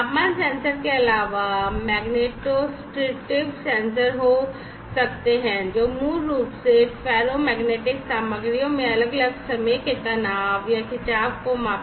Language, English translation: Hindi, Apart from temperature sensor, there could be magnetostrictive sensors, which basically measure and detect the time varying stresses or, strains in ferromagnetic materials